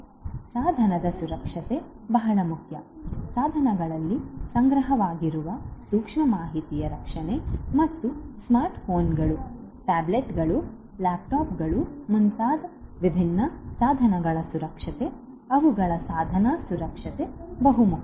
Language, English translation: Kannada, Device security is very very important, protection of the sensitive information that are stored in the devices and the different devices such as smartphones, tablets, laptops, etcetera, the their security the device security is very important